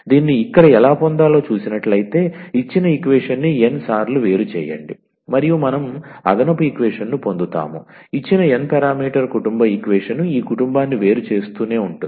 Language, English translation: Telugu, So, here how to get this actually, so differentiate the given equation n times; and we get an additional equations there was a given n parameter family equation we differentiate keep on differentiating this family